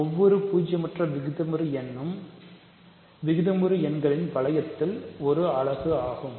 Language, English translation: Tamil, So, every non zero rational number is a unit in the ring of rational numbers